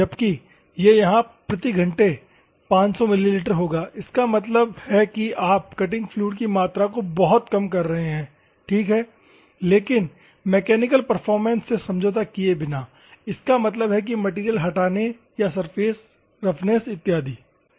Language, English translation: Hindi, It will be 500 ml per hour; that means, that you are reducing enormously the amount of cutting fluid ok, but without compromising the mechanical performance; that means, that material removal or the surface roughness and other things